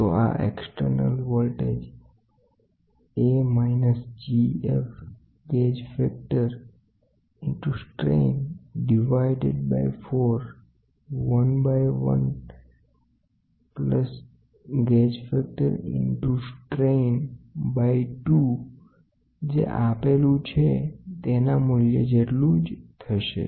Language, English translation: Gujarati, So, this is external voltage is equal to minus G F gauge factor into strain divided by 4 1 by 1 plus G F into strain by 2